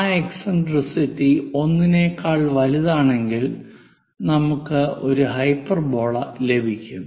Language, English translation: Malayalam, If that eccentricity is greater than 1, we get a hyperbola